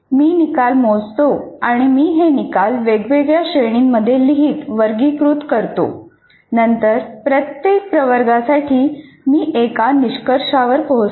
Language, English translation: Marathi, I'm measuring the results and I'll write, classify these results into different categories and then for each category I come to a conclusion